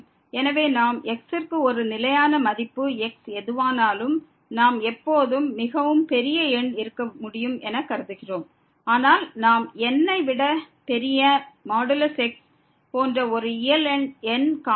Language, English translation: Tamil, So, what we consider for a fixed value of , we can always whatever as could be very large number, but we can find a natural number such that the absolute value of this is greater than